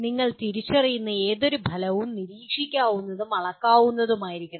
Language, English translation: Malayalam, And any outcome that you identify should be observable and measureable